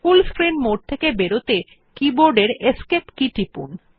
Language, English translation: Bengali, In order to exit the full screen mode, press the Escape key on the keyboard